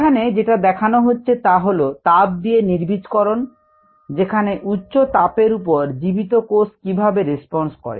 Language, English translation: Bengali, this is ah what we saw, the thermal sterilization, the response of viable cells to high temperature